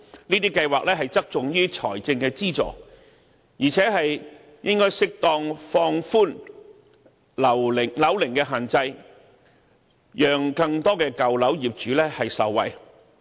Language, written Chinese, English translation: Cantonese, 這些計劃側重於財政資助，應適當放寬樓齡限制，讓更多舊樓業主受惠。, With their focus on financial support the age limit under the schemes should be appropriately relaxed to benefit more owners of old buildings